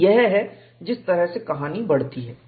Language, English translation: Hindi, So, that is how the story goes